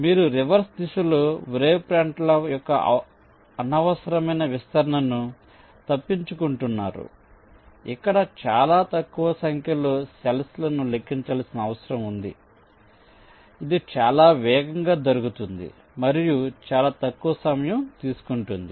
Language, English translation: Telugu, so you are avoiding unnecessary expansion of the wave fronts in the reverse direction, which will obviously require much less number of cells to be numbered, which of course will result in much faster and times